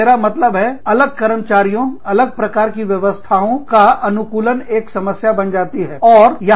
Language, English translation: Hindi, So, i mean, adjustment of different employees, to different kinds of systems, becomes a problem